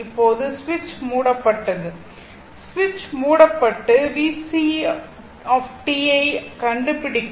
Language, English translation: Tamil, So, if is switch is closed and our to find out V C t